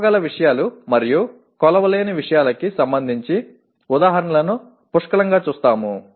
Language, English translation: Telugu, We will see plenty of examples where things are not measurable, where things are measurable